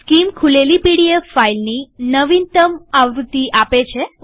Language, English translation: Gujarati, Skim shows the latest version of the opened pdf file